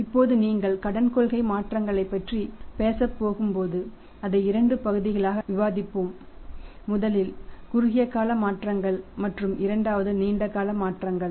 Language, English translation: Tamil, Now when you are going to talk about the credit policy changes we will discuss and learn it in two parts first one is the short term changes and second one is the long term changes